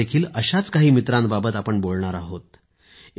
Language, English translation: Marathi, Today also, we'll talk about some of these friends